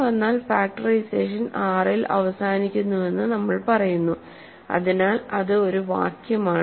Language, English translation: Malayalam, So, factoring terminates in R this must happen